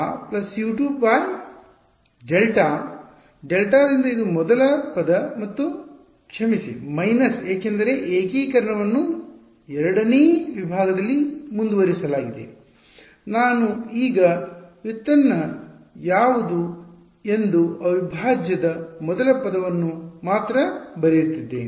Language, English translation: Kannada, Minus U 1 by delta plus U 2 by delta this is the first term plus sorry minus because the integration is continued over the second segment, I am only writing the first term of the integral what is the derivative now